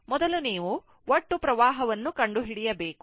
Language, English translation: Kannada, And this is actually first you find out the total current